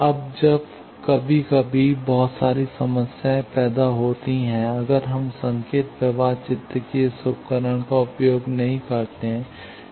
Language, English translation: Hindi, Now that sometimes creates a lot of problems, if we do not use this tool of signal flow graph